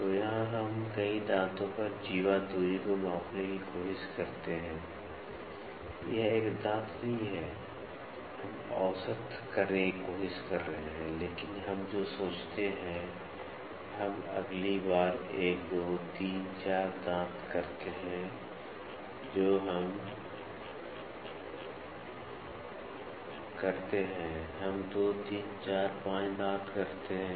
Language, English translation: Hindi, So, here we try to measure the chordal distance over a number of teeth it is not a single teeth, we are trying to take it is like almost averaging so, but what we do suppose we do 1, 2, 3, 4, teeth next time what we do a we do 2, 3, 4, 5 teeth